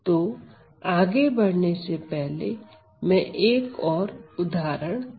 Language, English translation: Hindi, So, moving on then, let me just show another example